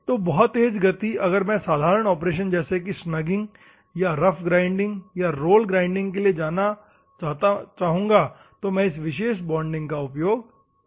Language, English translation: Hindi, So, swift action if at all I want you can go for normally operations like snagging or rough grinding as well as roll grinding you can use this particular thing